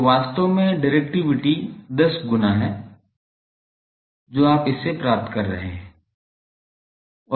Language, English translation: Hindi, So, actually directivity is 10 times that, you are getting by this one